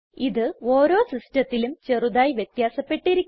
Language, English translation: Malayalam, This may slightly vary from one system to another